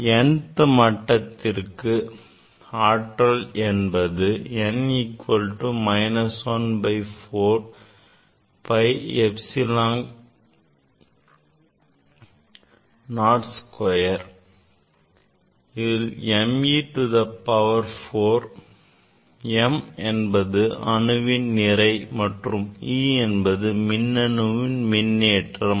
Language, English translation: Tamil, for n th levels energy is n equal to minus 1 by 4 pi epsilon 0 square; m e to the power 4, m is the mass of the electron and e is the charge of the electron divided by 2 n square h cross square